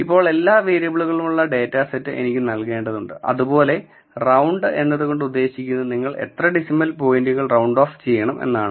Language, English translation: Malayalam, I need to give the dataset with all the variables now round tells you to how many decimal points you want round off the number to